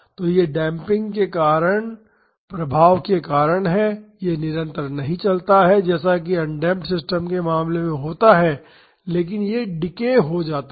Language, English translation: Hindi, So, this is because of the effect due to damping, this does not go on continuously as in the case of undamped systems, but this decays